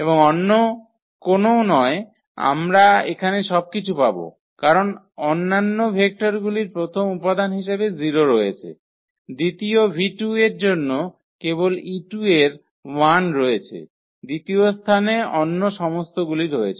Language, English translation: Bengali, And no where else we will get anything at this place because all other vectors have 0 as first component; for the second v 2 only the e 2 has 1 at the second place all others are 0